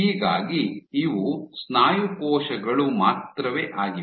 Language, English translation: Kannada, So, these are my muscle cells only right